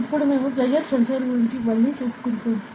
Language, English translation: Telugu, Now, we will be going back to the pressure sensor ok